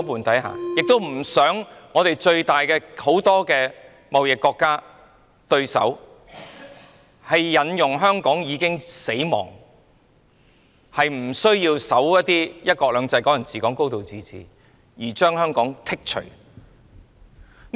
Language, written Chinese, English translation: Cantonese, 我們也不想最重要的貿易夥伴或對手，指明"香港已死"，不遵守"一國兩制"、"港人治港"及"高度自治"，因而把香港排除在外。, We also do not want our most important trading partners or competitors to say that Hong Kong is dead or that we fail to comply with one country two systems Hong Kong people ruling Hong Kong and a high degree of autonomy thus excluding Hong Kong